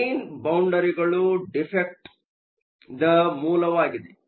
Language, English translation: Kannada, Grain boundaries are source of defects